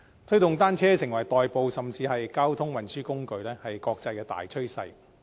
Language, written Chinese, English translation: Cantonese, 推動使用單車代步，甚至是交通運輸工具，是國際大趨勢。, The promotion of cycling as an alternative means of commute and even a mode of transport is an international trend